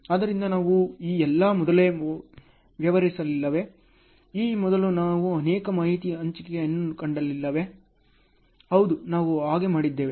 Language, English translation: Kannada, So, have we not dealt all these earlier, have we not come across multiple information sharing earlier and so on, yes we did so